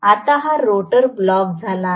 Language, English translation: Marathi, Now, this rotor is blocked